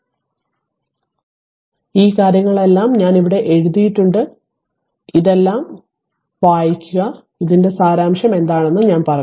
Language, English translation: Malayalam, So, all this things are written here all this things are written here for you you go through it, but I have told you what is the essence of it right